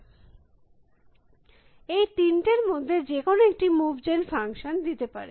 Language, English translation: Bengali, So, any of those 3 would give a move gen functions